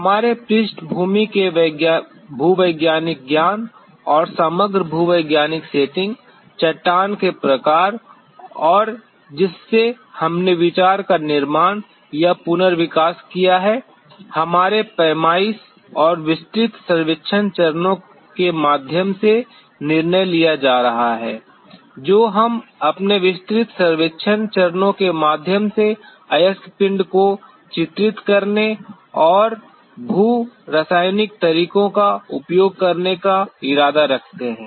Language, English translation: Hindi, The sampling strategy being decided by our background geological knowledge and the overall geological setting, the rock types and from which we built up or redeveloped the idea, Through our reconnaissance and detailed survey stages we intend to delineate the ore body and use geochemical methods